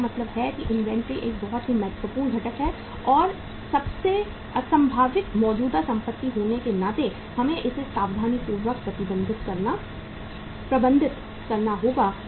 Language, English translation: Hindi, So it means inventory is a very important component and being a most illiquid current asset we have to carefully manage it